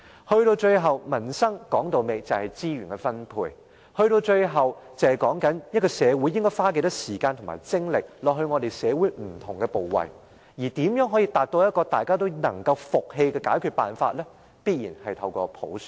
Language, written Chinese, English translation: Cantonese, 說到底，民生是資源分配，是討論社會應花多少時間和精力到不同部位，而如何達到大家都能服氣的解決辦法，必然要通過普選。, In the final analysis we are talking about resource allocation when it comes to peoples livelihood and discussions have to be held on how much time and efforts should be spent on different areas . In order to obtain a solution which is convincing to all universal suffrage has to be implemented